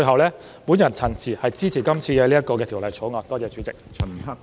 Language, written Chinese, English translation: Cantonese, 我謹此陳辭，支持《條例草案》，多謝主席。, With these remarks I support the Bill . Thank you President